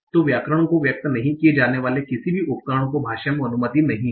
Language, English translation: Hindi, , any rule that is not expressed in the grammar is not allowed in the language